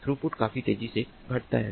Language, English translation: Hindi, the throughput decreases quite fast